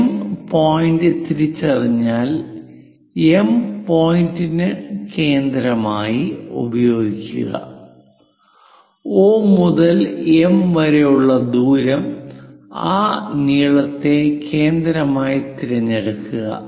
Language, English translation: Malayalam, Once M point is identified use M point as centre and radius O to M pick that length M as centre, cut the circle at point J